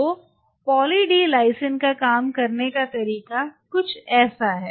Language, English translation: Hindi, So, the way say Poly D Lysine works it is something like this